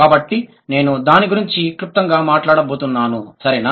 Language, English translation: Telugu, So, I'm just going to briefly talk about this